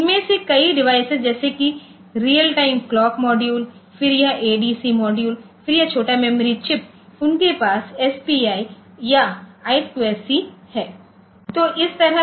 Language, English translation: Hindi, So, the many of these devices like say real time clock module then, this ADC modules, then this small chip memory chips, so they are having this SPI or I square C interfaces ok